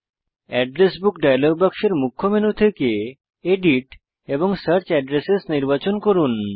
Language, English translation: Bengali, From the Main menu in the Address Book dialog box, select Edit and Search Addresses